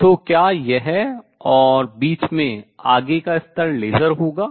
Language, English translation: Hindi, So, is this and level in the middle onward will be laser